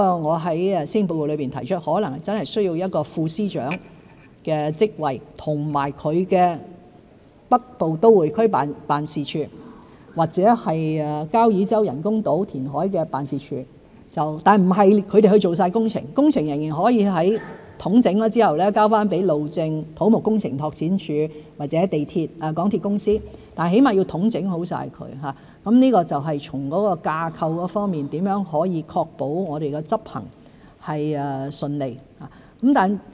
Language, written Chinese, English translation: Cantonese, 我在施政報告裏提出，可能真的需要一個副司長的職位和北部都會區辦事處，或交椅洲人工島填海的辦事處，但不是由他們負責全部工程，工程仍然可以在統整後，交給路政署、土木工程拓展署或港鐵公司，但起碼要統整好，這就是從架構方面，如何可以確保我們執行順利。, I have proposed in the Policy Address that we may need to create a Deputy Secretary of Department post and set up offices for the development of the Northern Metropolis and the reclamation works for the Kau Yi Chau Artificial Islands . However they will not be tasked to take up the entire project . After coordination individual projects can still be handed to the Highways Department the Civil Engineering and Development Department or the MTR Corporation Limited for implementation but they must be well - coordinated in the first place